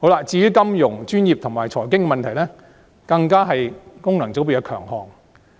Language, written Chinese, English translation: Cantonese, 至於金融、專業及財經問題，更是功能界別的強項。, Insofar as financial professional and economic issues are concerned FCs are real experts